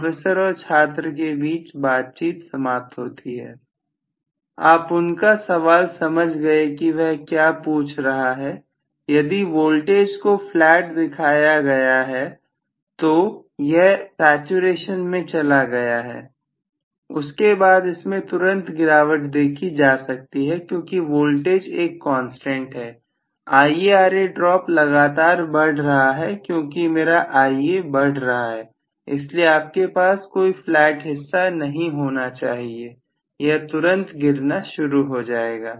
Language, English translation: Hindi, You got his question what he is asking is if the voltage is shown to be flat the saturation has been you know attained then after that itself it should start dropping right away because the voltage is a constant IaRa drop is continuously increasing as my Ia is increasing, so you should not have any flat portion at all, it should start dropping right away